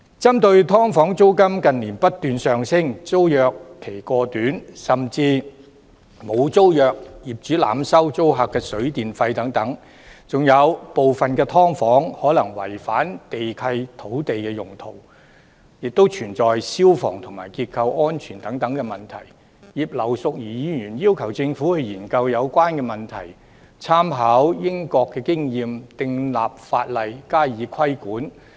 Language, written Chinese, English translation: Cantonese, 針對"劏房"租金近年不斷上升；租約期過短，甚至沒有租約；業主濫收租客水電費；部分"劏房"可能違反地契及土地用途，並存在消防和結構安全風險等問題，葉劉淑儀議員要求政府進行研究，參考英國經驗，訂立法例加以規管。, As regards such problems as the ever - increasing rental of subdivided units in recent years the overly short tenancy tenures and even the lack of tenancy agreements tenants being overcharged by landlords for use of water and electricity some subdivided units possibly in violation of land lease and land use as well as fire services and structural safety issues Mrs Regina IP has requested the Government to study the enactment of legislation to impose regulation drawing reference from the experience of the United Kingdom